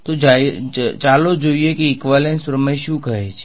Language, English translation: Gujarati, So, let us look at what equivalence theorem say